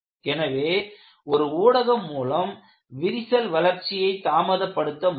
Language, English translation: Tamil, So, you have a via media to minimize or delay the crack growth